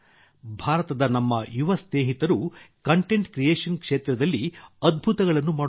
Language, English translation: Kannada, Our young friends in India are doing wonders in the field of content creation